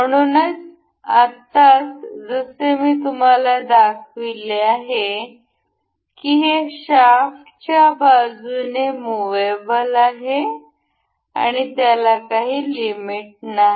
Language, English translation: Marathi, So, for now as I have shown you that this is movable to along the shaft and it does not have any limit